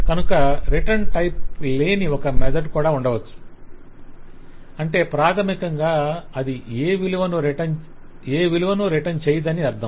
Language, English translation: Telugu, So I may have a method which does not have a return type, which basically means that it is not expected to return any value